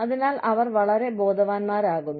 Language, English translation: Malayalam, So, they become very aware